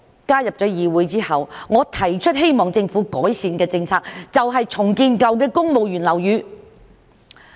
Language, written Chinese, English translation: Cantonese, 加入議會之後，我提出希望政府改善的第一個政策，就是重建舊的公務員樓宇。, The first policy I proposed to the Government for improvement after entering this Council was the redevelopment of civil servants old buildings